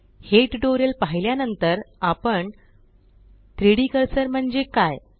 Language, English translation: Marathi, After watching this tutorial, we shall learn what is 3D cursor